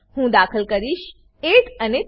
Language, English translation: Gujarati, I will enter as 8 and 3